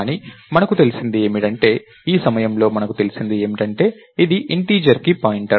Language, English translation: Telugu, But all we know is, at this point of time we know that its a pointer to a pointer to an integer right